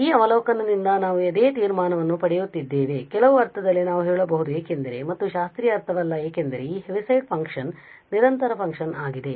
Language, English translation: Kannada, And the same conclusion we are getting from this observation so in certain sense we can say because again not the classical sense because this Heaviside function is a discontinuous function